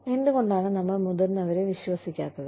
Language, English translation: Malayalam, Why do we, not trust our seniors